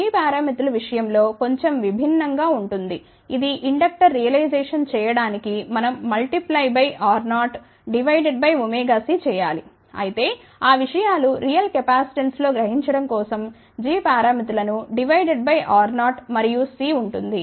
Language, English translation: Telugu, Slightly differently for case of g parameters which realize inductor we have to multiply by R 0 divide by omega c whereas, for the g parameters which will represent capacitance those things have to be divided by R 0 and omega c to realize the real capacitance